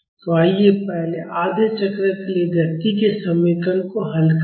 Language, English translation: Hindi, So, let us solve the equation of motion for the first half cycle